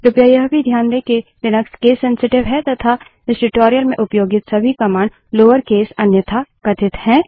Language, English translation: Hindi, Please also note that Linux is case sensitive and all the commands used in this tutorial are in lower case unless otherwise mentioned